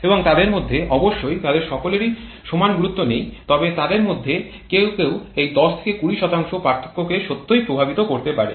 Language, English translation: Bengali, And out of them of course all of them are not of equal importance but some of them can really dominate this 10 20% difference